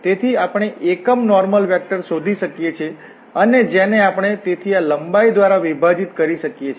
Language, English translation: Gujarati, So, we can find the unit normal vector and which we can divide by its length